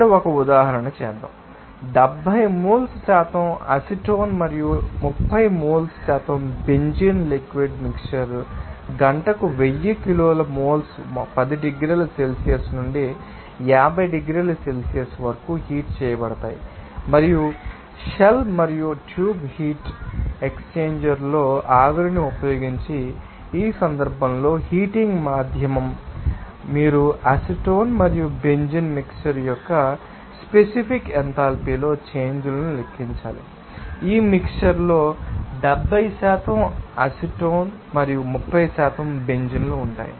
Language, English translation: Telugu, Let us do an example here, let us see that 1000 kilo moles per hour of liquid mixture of 70 moles percent acetone and 30 moles percent benzene is heated from 10 degrees Celsius to 50 degree Celsius in a shell and tube heat exchanger using a steam as the heating medium in this case you have to calculate the changes in a specific enthalpy of acetone and benzene mixture in this case is the mixture contains 70% acetone and 30% benzene